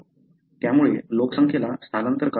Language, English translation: Marathi, So, as a result the population is forced to migrate